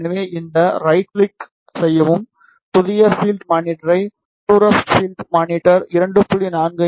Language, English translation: Tamil, So, click on this right click new field monitor put the far field monitor at 2